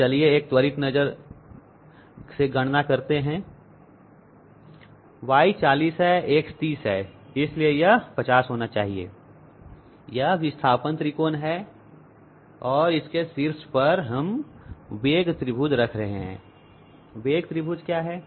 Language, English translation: Hindi, Y is 40, X is 30 and therefore, this must be 50 this is the displacement triangle and on top of that we are putting the velocity triangle